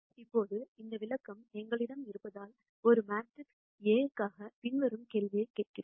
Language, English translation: Tamil, Now, that we have this interpretation, we ask the following question for a matrix A